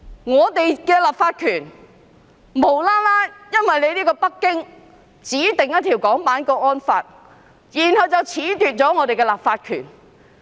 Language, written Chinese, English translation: Cantonese, 我們的立法權無緣無故地因為北京指定要訂立港區國安法而遭到褫奪。, We are deprived of our legislative power for no reason because Beijing intended to enact a national security law for Hong Kong